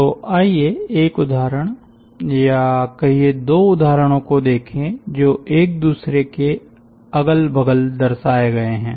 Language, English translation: Hindi, so let us look into one example, or rather two examples shown side by side